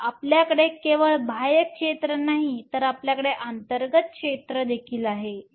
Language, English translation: Marathi, So, you not only have an external field, you also have an internal field